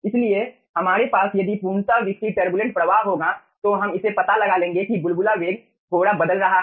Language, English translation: Hindi, okay, so if we are having fully developed turbulent flow, we will be finding that the bubble velocity is changing little bit